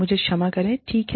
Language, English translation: Hindi, I am sorry, okay